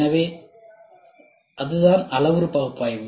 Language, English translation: Tamil, So, that is what is parametric analysis